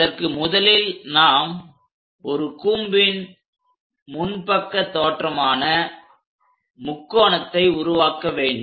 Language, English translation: Tamil, So, to do that first of all we have to construct a cone in the frontal view which we will get as a triangle